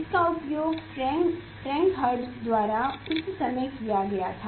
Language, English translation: Hindi, it was used that time by Frank Hertz